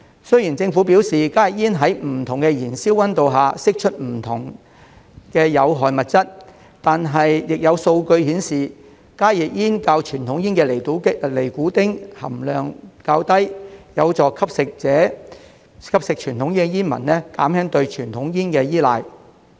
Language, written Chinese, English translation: Cantonese, 雖然政府表示加熱煙在不同的燃燒溫度下會釋出不同的有害物質，但亦有數據顯示加熱煙較傳統煙的尼古丁含量低，有助吸食傳統煙的煙民減輕對傳統煙的依賴。, Although the Government said that HTPs release different harmful substances at different temperatures to which they are heated there are statistics showing that the nicotine content of HTPs is lower than that of conventional cigarettes and this will help conventional cigarette smokers reduce their dependence on conventional cigarettes